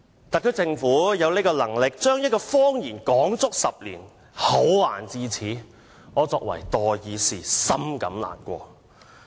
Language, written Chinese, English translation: Cantonese, 特區政府有能力將一個謊言說了足足10年，厚顏至此，身為代議士，深感難過。, The Special Administration Region SAR Government is capable of telling a lie for 10 full years . As a peoples delegate I feel utterly sad about how shameless the Government is